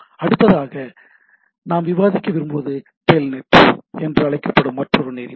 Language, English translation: Tamil, So, the next thing what we want to discuss is that another protocol which is called TELNET